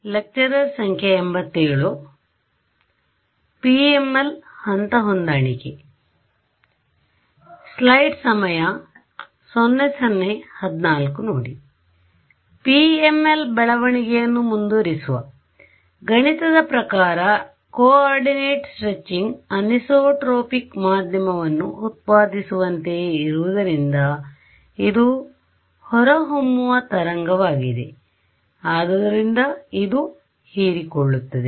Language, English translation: Kannada, So, we continue with our development of the PML, and the concept that we have to keep in mind is that coordinate stretching is mathematically the same as generating a anisotropic medium therefore, it absorbs right it has evanescent waves ok